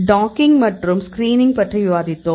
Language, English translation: Tamil, So, we discussed about the docking, we discussed about the screening